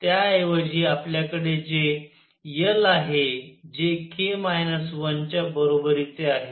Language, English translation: Marathi, Instead what we have is l which is equal to k minus 1